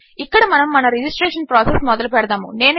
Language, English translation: Telugu, Here we are going to start our registration process